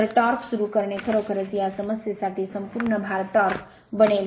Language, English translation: Marathi, So, starting torque actually will becoming full load torque for this problem right